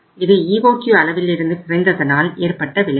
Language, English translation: Tamil, This is the effect of reducing it from the EOQ level